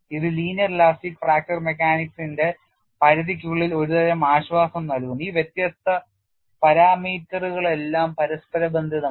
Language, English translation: Malayalam, So, this brings in a set of comfort that within the confines of linear elastic fracture mechanics, all these seemingly different parameters or interrelated